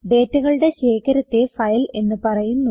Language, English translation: Malayalam, File is a collection of data